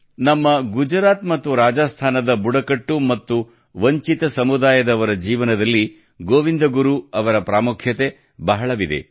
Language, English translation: Kannada, Govind Guru Ji has had a very special significance in the lives of the tribal and deprived communities of Gujarat and Rajasthan